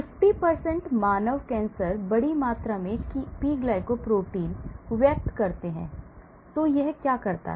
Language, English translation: Hindi, So, 50% of human cancers express large amount of P glycoprotein, so what it does